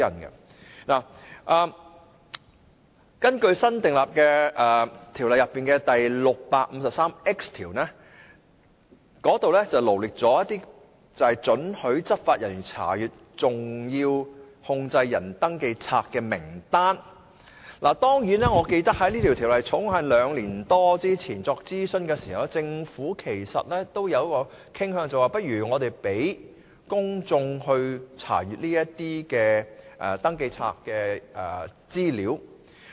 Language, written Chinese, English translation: Cantonese, 《條例草案》新訂的第 653X 條列出了獲准查閱登記冊的執法人員名單，但據我記憶所及，當《條例草案》於兩年多前進行諮詢的時候，政府是傾向讓公眾查閱登記冊的資料的。, The new section 653X proposed in the Bill sets out the list of law enforcement officers permitted to inspect SCRs . Yet as far as I can remember when the consultation on the Bill was conducted some two years ago the Government was inclined to allow the public to inspect the information in SCRs